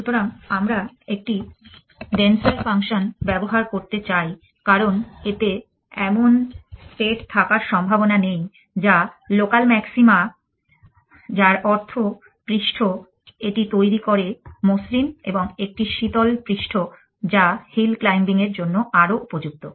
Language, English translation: Bengali, So, we would like to use a denser function because it is not likely to have states which are local maxima which mean the surface, it generates would be smoother and a cooler surface is more amenable to hill claiming